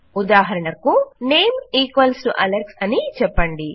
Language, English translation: Telugu, Say for example, name equals to Alex